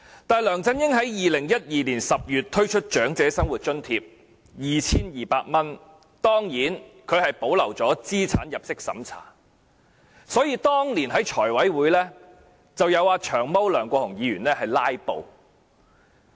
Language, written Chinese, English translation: Cantonese, 但是，梁振英在2012年10月推出 2,200 元的長者生活津貼時，保留了資產入息審查，所以當年在財務委員會申請撥款時，遭"長毛"梁國雄議員"拉布"。, However when LEUNG Chun - ying introduced OALA at the amount of 2,200 in October 2012 the means test was retained . For this reason when the funding application was made to the Finance Committee it met the filibuster staged by Long Hair Mr LEUNG Kwok - hung